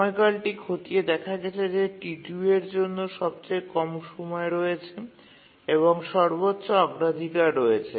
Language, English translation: Bengali, So we look through the period and find that T2 has the lowest period and that has the highest priority